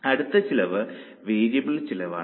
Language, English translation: Malayalam, That will become a variable cost